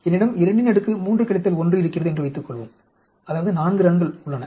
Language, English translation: Tamil, Suppose I have 2, 3 power minus 1that means there are 4 runs